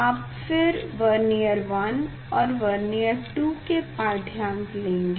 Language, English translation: Hindi, you take the reading first Vernier 1 and Vernier 2